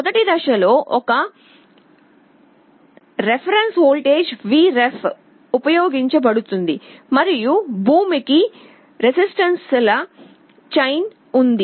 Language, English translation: Telugu, In the first stage there is a reference voltage Vref that is used and there is a chain of resistances to ground